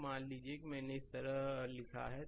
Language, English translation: Hindi, So, suppose I have written like this